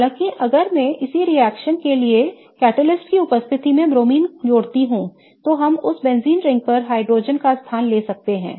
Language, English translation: Hindi, However, if I add BR2 in presence of catalyst to this same reaction, then we can substitute a hydrogen on that benzene ring